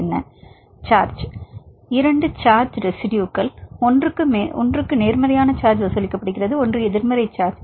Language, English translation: Tamil, Two charges residues one is charged positive charge, one is negative charge